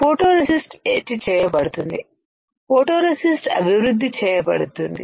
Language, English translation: Telugu, photoresist will be etched, photoresist will be developed